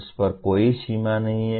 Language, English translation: Hindi, There is no limit on that